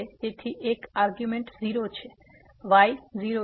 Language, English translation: Gujarati, So, one argument is 0, the is 0